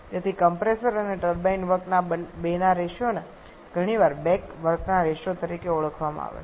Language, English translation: Gujarati, So, the ratio of these 2 or compressor and turbine work is often refer to as the back work ratio